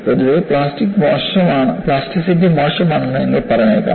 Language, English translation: Malayalam, In general, you may say plasticity is bad